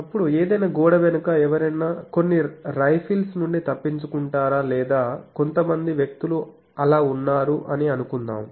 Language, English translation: Telugu, Then suppose whether behind any wall someone escape some rifles or whether some person is thereby so